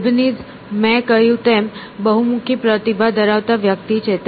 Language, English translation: Gujarati, Leibniz, of course, was as I said, multifaceted person